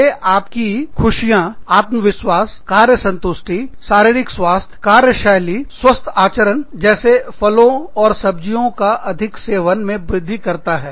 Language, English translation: Hindi, They improve happiness, confidence, job satisfaction, physical health, work ethic, healthy behaviors such as, increasing fruit and vegetable consumption